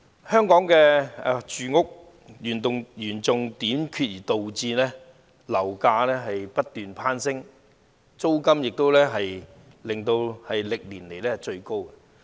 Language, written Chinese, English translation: Cantonese, 香港房屋嚴重短缺，導致樓價不斷攀升，租金亦是歷年最高。, The serious housing shortage in Hong Kong has continually pushed up property prices and the level of rents is also at a record high